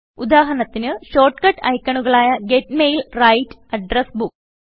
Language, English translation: Malayalam, For example, there are shortcut icons for Get Mail, Write, and Address Book